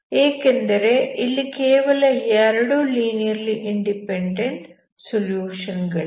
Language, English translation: Kannada, So you have n linearly independent solutions